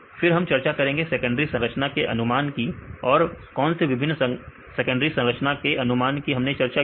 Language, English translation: Hindi, Then we discussed about secondary structure predictions and what are the various secondary structure prediction we discussed